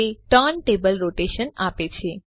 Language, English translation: Gujarati, That gives us turntable rotation